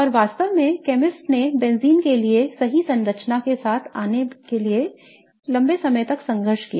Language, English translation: Hindi, And in fact, chemists struggled a long time to come up with the right chemical structure for benzene